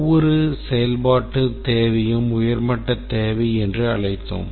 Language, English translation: Tamil, Each functional requirement we call as a high level requirement